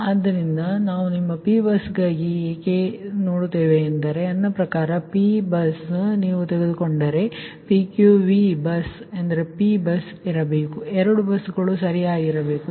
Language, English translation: Kannada, so why will go for your p bus and t by i mean p bus if you take pqv bus means p bus has to be there